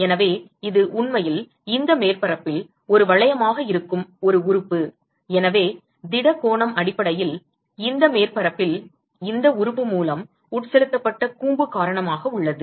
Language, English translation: Tamil, So, it is a element which is actually a ring on this surface and so, the solid angle is essentially because of the cone which is subtended by this element on this surface